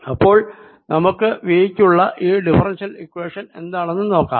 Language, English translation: Malayalam, so let us see what is that differential equation